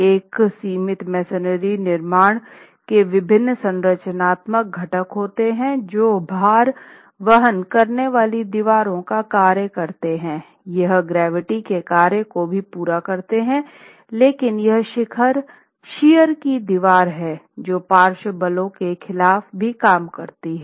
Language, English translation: Hindi, The different structural components of a confined masonry construction, you have the load bearing masonry walls, they carry the function, carry out the function of gravity load resistance, but this is this being a shear wall, actually this would be a shear wall, it also works against lateral forces